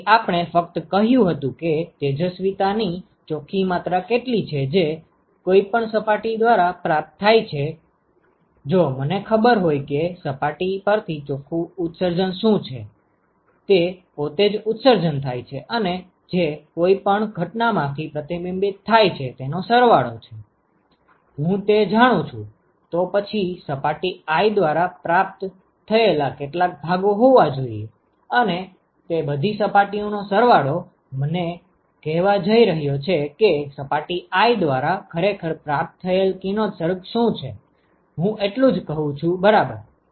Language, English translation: Gujarati, So, we only said that what is the net amount of irradiation that is received by any surface, if I know what is the net emission from a surface, that is what is emitted by itself plus whatever is reflected from the incident if I know that, then there has to be some fraction of that which received by surface i and that summed over all the surfaces is going to tell me what is the total radiation that is actually received by surface i, that is all i am saying right